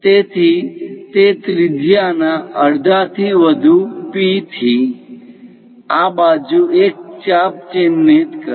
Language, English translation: Gujarati, So, from P greater than half of that radius; mark an arc on this side